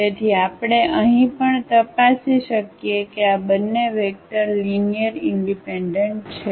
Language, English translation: Gujarati, So we can check here also that these 2 vectors are linearly independent